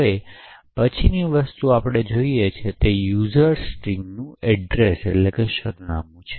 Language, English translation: Gujarati, The next thing we actually look at is the address of user string